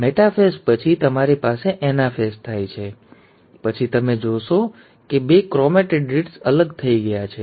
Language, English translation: Gujarati, After the metaphase, you have the anaphase taking place, then you find that the two chromatids have separated